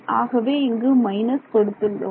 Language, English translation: Tamil, So, we have we have minus to get this all right